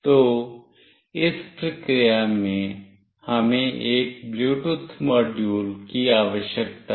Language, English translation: Hindi, So, in this process we need a Bluetooth module